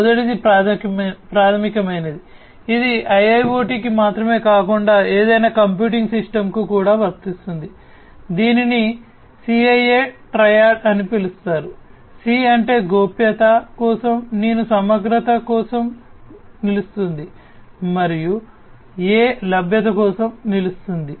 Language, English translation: Telugu, The first one is the basic one the fundamental one which is not only applicable for IIoT but for any computing system, this is known as the CIA Triad, C stands for confidentiality, I stands for integrity and A stands for availability